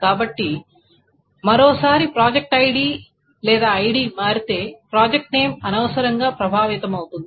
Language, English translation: Telugu, So once more, if the project ID changes or if the ID changes project name is affected unnecessarily